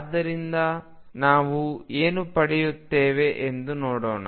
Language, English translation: Kannada, So, let us see what do we get from this